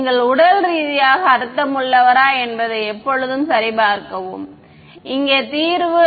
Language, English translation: Tamil, Always check that you are getting a physically meaningful solution over here